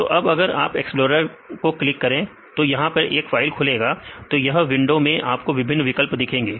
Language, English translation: Hindi, So, if you click explorer then this will open a file; this window then here various options